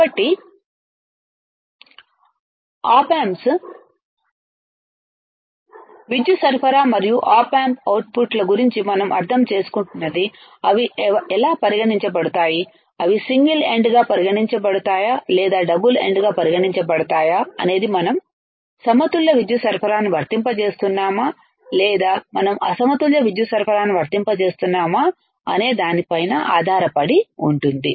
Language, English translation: Telugu, So, this is the what we are understanding about the op amps power supply and op amp outputs how they are taken either they are taken single ended or they are taken double ended either we are applying balanced power supply or we are applying unbalanced power supply ok